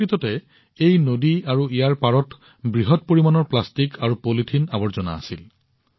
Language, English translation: Assamese, Actually, this river and its banks were full of plastic and polythene waste